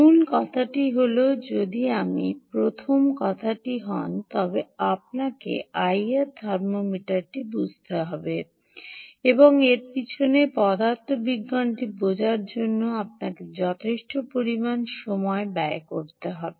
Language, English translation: Bengali, the point really is, if you first thing is, you have to understand the i r thermometer and you have to spend sufficient amount of time trying to understand the physics behind it as well